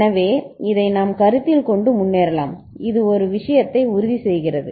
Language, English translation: Tamil, So, this we can consider and go ahead this ensures one this thing